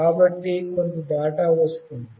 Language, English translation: Telugu, So, some data are coming